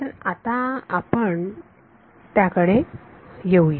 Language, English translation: Marathi, So, let us let us come to that next